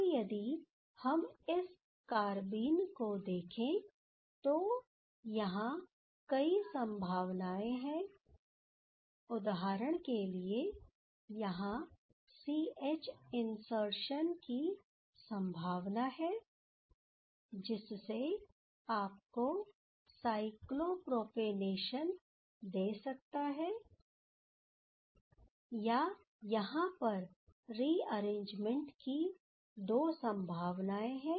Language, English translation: Hindi, Now, if we see this carbene there are several things possible, as for example there are this C H insertions that is possible to give some kind of cyclopropanation or there are now two possibilities for rearrangement